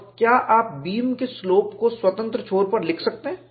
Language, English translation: Hindi, And, can you write the slope of the beam at the free end